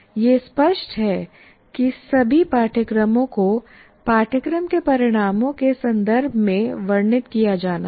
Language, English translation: Hindi, All courses are to be described in terms of course outcomes